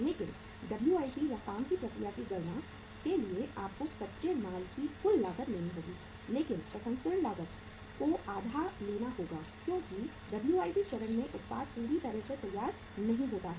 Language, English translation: Hindi, But for calculating the WIP work in process you have to take the total cost of raw material but the processing cost has to be taken as half because at the WIP stage the product is not fully finished